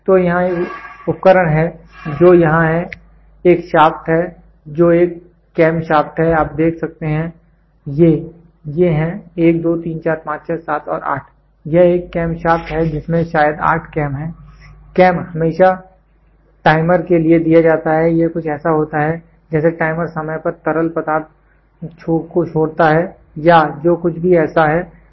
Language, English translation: Hindi, So, here is an instrument which is here is a shaft which is a cam shaft you can see these are cams 1, 2, 3, 4, 5, 6, 7 and 8, it is a cam shaft with a maybe 8 cam; cams are always given for timer it is something like a timer are timely release of fluid or whatever it is so, it is there